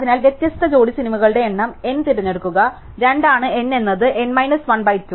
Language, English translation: Malayalam, So, the number of different pairs of movies are n choose 2 which is n into n minus 1 by 2